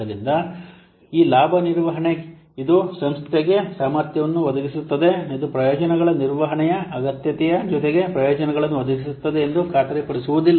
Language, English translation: Kannada, So this benefit management, it provides an organization with a capability that does not guarantee that this will provide benefits in this, need for benefits management